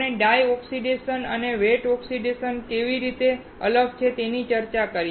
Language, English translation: Gujarati, We discussed dry oxidation and how it is different from wet oxidation